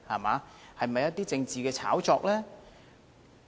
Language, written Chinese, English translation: Cantonese, 這是否政治的炒作？, Were they just political hype?